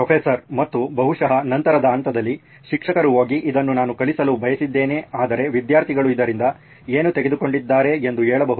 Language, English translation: Kannada, And probably at a later stage, the teacher can go and check it out saying this is what I wanted to teach but what have students taken from this